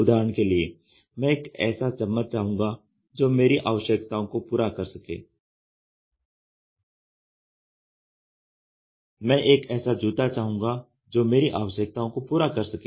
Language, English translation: Hindi, For example, I would like to have a spoon which could cater my requirement; I would like to have a shoe which can cater my requirement